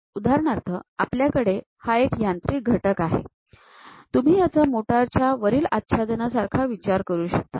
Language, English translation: Marathi, So, for example, we have this machine element; you can think of this one as a top cover of a motor